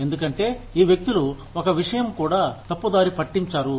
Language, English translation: Telugu, Because, these people will not let, even one thing, go astray